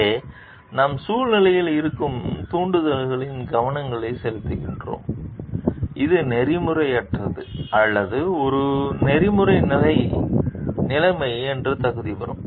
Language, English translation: Tamil, Here we are focusing on the triggers present in the situation, which will qualify it to be unethical or an ethical situation